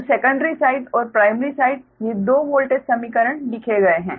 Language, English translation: Hindi, so secondary side and primary side, these two voltage equations are retained, right